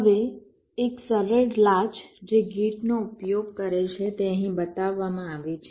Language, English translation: Gujarati, now a simple latch that uses gates is shown here